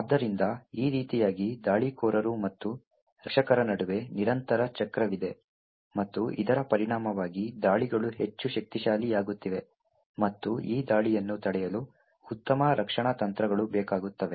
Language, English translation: Kannada, So, in this way there is a constant cycle between the attackers and defenders and as a result the attacks are getting more and more powerful and thereby better defend strategies are required to prevent these attacks